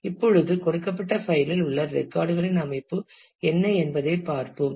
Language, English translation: Tamil, Now, let us see the given this what is the organization of the records in the file